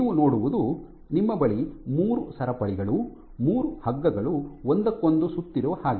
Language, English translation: Kannada, You have 3 chains, 3 ropes which are wrapped around each other